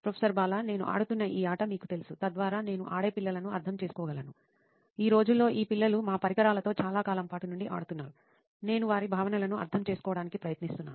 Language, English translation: Telugu, You know this game I am playing, so that I can empathise with kids who play on this, these kids these days are playing for our devices on a long time, I am trying to empathise with them